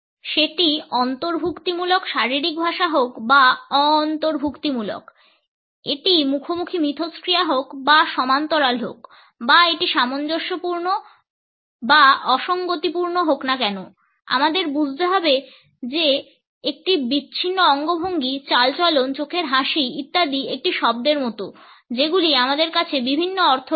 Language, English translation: Bengali, Whether it is an inclusive body language or non inclusive; whether it is a face to face interaction or parallel or whether it is congruent or incongruent, we have to understand that an isolated gesture, posture, eye smile etcetera is like a word which we have different meanings